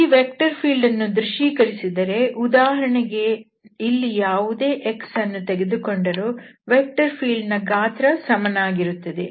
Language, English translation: Kannada, So if we visualize this vector field, so this is what happening at for instance, you consider at some x here so, the vector field is of the magnitude is the same